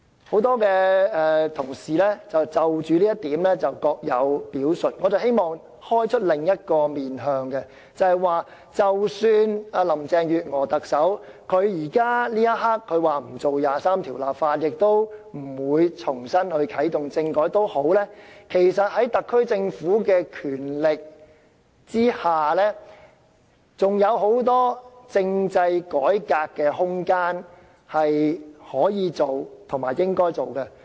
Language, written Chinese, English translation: Cantonese, 很多同事就着這一點各有表述，我希望提出另一個面向，便是即使特首林鄭月娥這一刻說不會就第二十三條立法，也不會重新啟動政改，其實在特區政府的權力之下，還有很多政制改革的空間是可以做和應該做的。, But I wish to look at this from another angle . Even though the Chief Executive says at this very moment that she will neither enact the national security law nor reactivate constitutional reform the SAR Government indeed has the authority under the current system to carry out a number of political reforms . So there are actually rooms and also need for reform